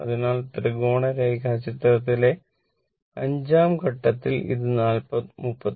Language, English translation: Malayalam, So, in the 5 th Phase in the diagram Triangle diagram we have seen this was 39